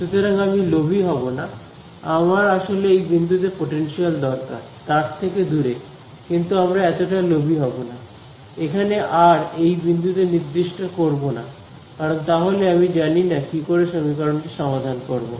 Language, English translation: Bengali, So, I will not be greedy I actually want the potential at this point over here away from the wire, but let us not be so greedy; let us not fix r to be this point because then, I do not know how will I solve this equation